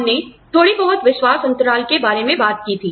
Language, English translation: Hindi, We talked a little bit about, the trust gap